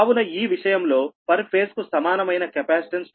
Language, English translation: Telugu, so in this case, per phase, equivalent capacitance to neutral is c a